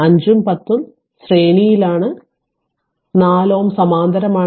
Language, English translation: Malayalam, So, 5 and 10 are in series with that the 4 ohm is in parallel